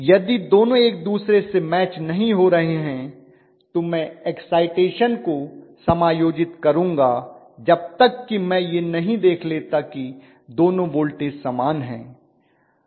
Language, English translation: Hindi, If the two are not matching each other I am going to adjust the excitation until I am able to see that both the voltages are the same